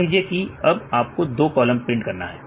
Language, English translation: Hindi, So, here we have to print only the first column